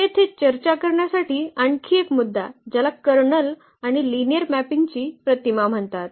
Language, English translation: Marathi, So, another point here to be discussed that is called the kernel and the image of the linear mapping